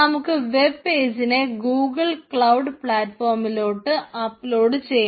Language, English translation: Malayalam, one is to host your web page in the google cloud platform